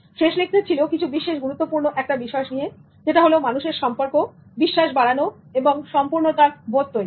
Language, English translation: Bengali, The last but not the least lecture was on human relations, developing trust and integrity